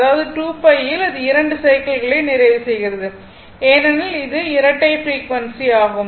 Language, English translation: Tamil, So, that means, in 2 in 2 pi, it is completing 2 cycles because it is a double frequency